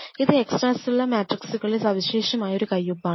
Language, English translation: Malayalam, It is a very classic signature of extra cellular matrix